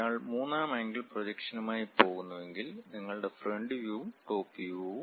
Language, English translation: Malayalam, If one is going with third angle projection, your front view and top view